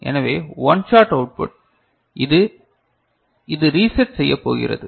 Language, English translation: Tamil, So, one shot output, this one it is going to reset